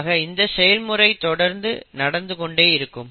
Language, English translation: Tamil, And this process keeps on continuing